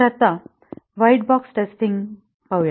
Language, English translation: Marathi, So, let us look at white box testing